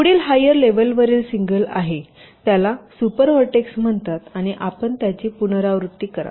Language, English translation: Marathi, so the next higher level, that single so called super vertex, will be there, and you go on repeating this